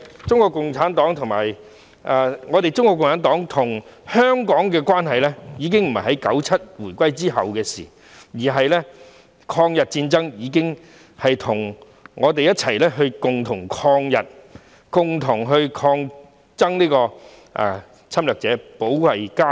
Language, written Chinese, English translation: Cantonese, 中國共產黨與香港的關係並非1997年回歸後的事情，在抗日戰爭時期，我們已經共同抗日，對抗侵略者，保衞家園。, The relationship between the Communist Party of China and Hong Kong did not begin after the handover in 1997 . We have worked together to fight against the Japanese invasion and defend our homeland during the War of Resistance